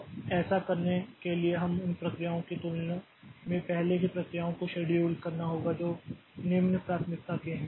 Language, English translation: Hindi, So, for doing that we need to schedule the corresponding processes earlier than the processes which are of lower priority